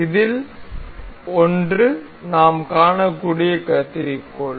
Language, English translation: Tamil, So, one of this is scissor we can see